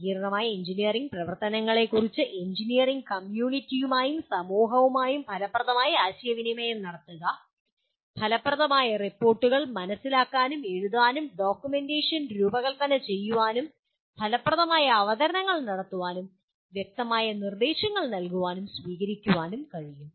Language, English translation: Malayalam, Communicate effectively on complex engineering activities with the engineering community and with society at large such as being able to comprehend and write effective reports and design documentation, make effective presentations and give and receive clear instructions